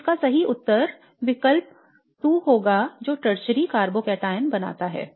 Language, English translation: Hindi, So the correct answer to this would be choice 2 which forms a tertiary carbocataon